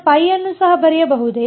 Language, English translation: Kannada, I could I could write pi also